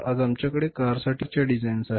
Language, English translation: Marathi, Today we have multiple different type of the designs of the cars